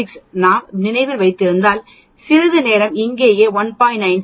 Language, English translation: Tamil, 96, if we remember I introduced that some time back right here you can see this 1